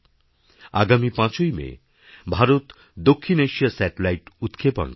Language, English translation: Bengali, On the 5th of May, India will launch the South Asia Satellite